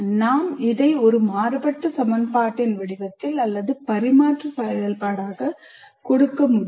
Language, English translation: Tamil, I can give it in the form of a differential equation or as a transfer function